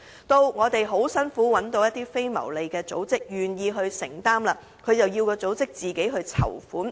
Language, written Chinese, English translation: Cantonese, 當我們辛苦找到一間非牟利組織願意承擔，政府又要該組織自行籌款。, When we found after so much effort a non - profit - making organization which agreed to offer this service the Government nonetheless required it to raise funding by itself